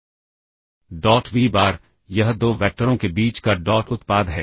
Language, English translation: Hindi, This is the dot product between 2 vectors